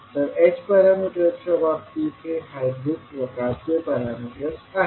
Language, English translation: Marathi, These are the hybrid kind of parameters which we have in case of h parameters